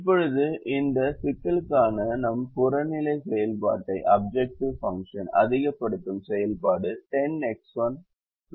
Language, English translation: Tamil, our objective function for this problem is ten x one plus nine x two